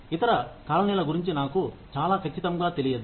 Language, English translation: Telugu, I am not too sure about other colonies